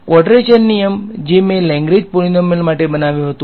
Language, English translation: Gujarati, The quadrature rule which I had derived for Lagrange polynomials